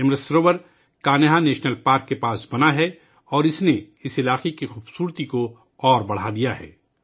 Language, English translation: Urdu, This Amrit Sarovar is built near the Kanha National Park and has further enhanced the beauty of this area